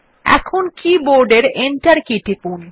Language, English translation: Bengali, Now press Enter on the keyboard